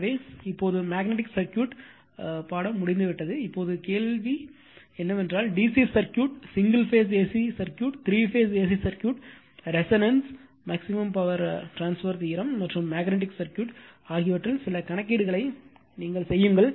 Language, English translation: Tamil, So, now, magnetic circuit is over, now my question is that when you will come up to this listening that the DC circuit, single phase AC circuit, 3 phase AC circuit, resonance, maximum power transfer theorem and magnetic circuit